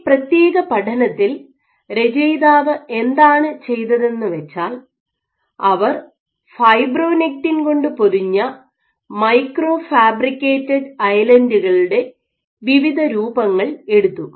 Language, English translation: Malayalam, So, what the author is did in this particular study was they took a variety of shapes of microfabricated islands coated with fibronectin